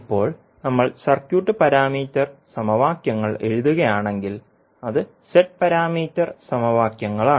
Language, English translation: Malayalam, Now, if we write the circuit parameter equations that is Z parameter equations